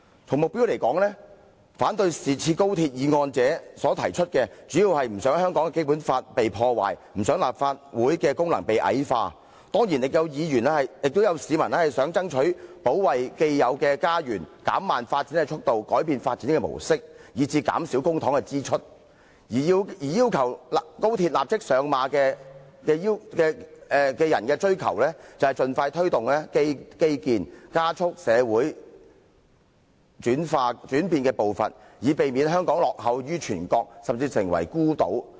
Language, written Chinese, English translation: Cantonese, 從目標來說，反對《條例草案》者所提出的，主要是不想香港的《基本法》被破壞，不想立法會的功能被矮化，當然亦有市民是想爭取保衞既有的家園、減慢發展的速度、改變發展的模式，以至減少公帑的支出；而要求高鐵立即上馬者所追求的，則是盡快推動基建、加速社會轉變步伐，以免香港落後於全國，甚至成為孤島。, Those who oppose the Bill are mainly saying that they do not want the Basic Law of Hong Kong to be ruined and do not want the function of the Legislative Council to be debased . Of course among them are also people who strive to protect their existing homes decrease the speed of development change the patterns of development and reduce the spending of public money . In contrast those who demand the immediate implementation of the XRL project seek to expeditiously promote infrastructure development and accelerate the pace of social change so that Hong Kong will not fall behind the entire country or even become an isolated city